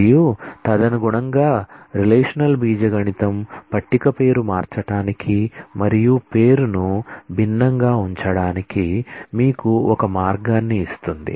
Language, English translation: Telugu, And accordingly, the relational algebra, gives you a way to rename a table and put it is name differently